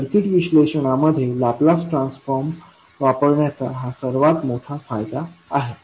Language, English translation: Marathi, Now this is the one of the biggest advantage of using Laplace transform in circuit analysis